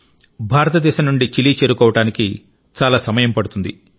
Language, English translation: Telugu, It takes a lot of time to reach Chile from India